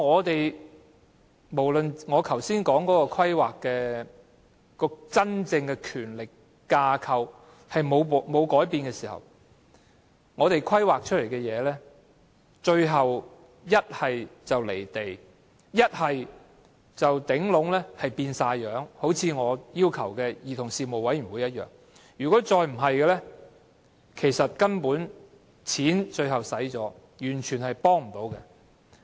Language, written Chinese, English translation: Cantonese, 然而，在真正的權力架構沒有改變的情況下，我們提出的規劃，最終要不是"離地"，便是全部變樣——就像我要求成立的兒童事務委員會般——再不便是花了錢，但最終卻完全幫不上忙。, However without any genuine change in the power structure the planning we propose will turn out to be unrealistic or a completely different one―just like my demand for the establishment of a commission for children―or that it turns out to be entirely not helpful despite the money spent